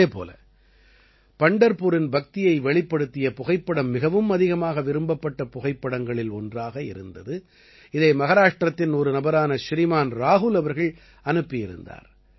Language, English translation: Tamil, Similarly, a photo showing the devotion of Pandharpur was included in the most liked photo, which was sent by a gentleman from Maharashtra, Shriman Rahul ji